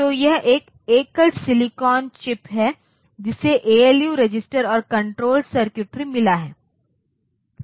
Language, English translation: Hindi, So, it is a single silicon chip which has got ALU registers and control circuitry